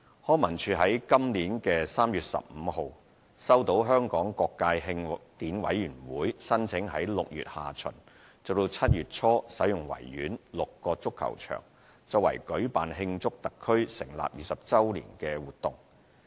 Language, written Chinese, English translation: Cantonese, 康文署於本年3月15日收到香港各界慶典委員會申請於6月下旬至7月初使用維園6個足球場作為舉辦慶祝特區成立20周年活動。, LCSD received an application from the Hong Kong Celebrations Association HKCA on 15 March 2017 for booking the six soccer pitches at the Victoria Park from late June to early July for organizing activities in celebration of the 20 Anniversary of the establishment of HKSAR